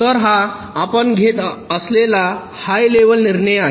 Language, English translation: Marathi, so this is a high level decision you are taking